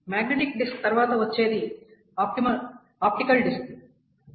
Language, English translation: Telugu, So after magnetic disk what comes next is the optical disks